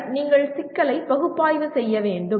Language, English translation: Tamil, And then you have to analyze the problem